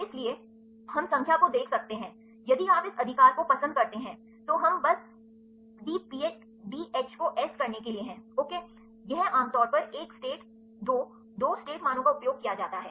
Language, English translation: Hindi, So, we can see the number so, if you do like this right, we are simply to dH take S ok, this is commonly used one state 2 2 state values right